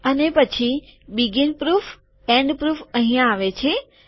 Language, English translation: Gujarati, And then begin proof, end proof comes here